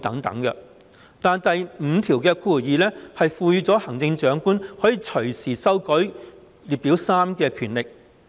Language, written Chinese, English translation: Cantonese, 但是，第52條賦權行政長官會同行政會議可隨時修改附表3。, Yet clause 52 confers the Chief Executive in Council the power to amend Schedule 3 at any time